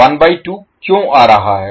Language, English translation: Hindi, Why 1 by 2 term is coming